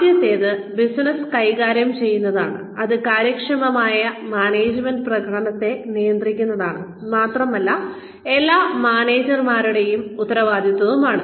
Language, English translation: Malayalam, The first is managing the business, which is effective management is managing performance, and is the responsibility of all managers